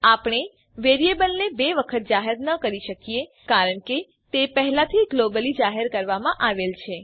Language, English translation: Gujarati, We cannot declare the variable twice as it is already declared globally We can only declare variable a as a local variable